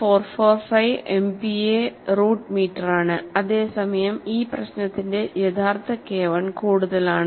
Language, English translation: Malayalam, 445 MPa root meter, whereas, the actual K 1 for this problem is higher, that is 0